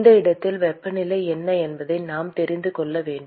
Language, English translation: Tamil, What we need to know is what is the temperature at this location